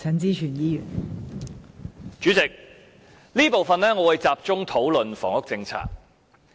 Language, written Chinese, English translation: Cantonese, 代理主席，這部分我會集中討論房屋政策。, Deputy President in this session I will focus my discussion on the housing policy